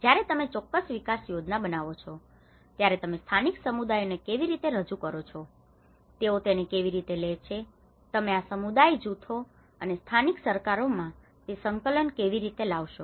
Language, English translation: Gujarati, When you make certain development scheme, how you present to the local communities, how they take it, how you bring that coordination within these community groups and the local governments